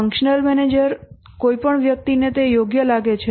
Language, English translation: Gujarati, The functional manager assigns any person that he thinks suitable